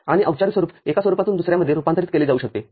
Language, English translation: Marathi, And the canonical form can be converted from one from to another